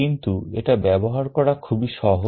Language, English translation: Bengali, But to use it is extremely simple